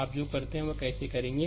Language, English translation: Hindi, How you do what you will do it